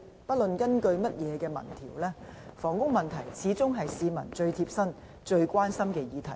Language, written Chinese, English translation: Cantonese, 不論根據甚麼民調，房屋問題始終是市民最貼身、最關心的議題。, Regardless of what opinion polls we are talking about housing problem has always been the subject which people are most concerned about or the one which touches them most